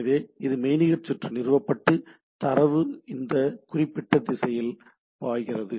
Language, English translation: Tamil, So, this is a virtual circuit established, it data flows in this particular direction